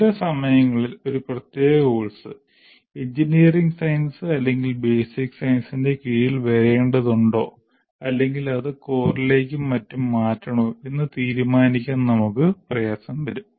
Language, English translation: Malayalam, So we have to tolerate sometimes we may say one particular course, should it come under engineering science or basic science or should be shifted to core and so on, these issues will always be there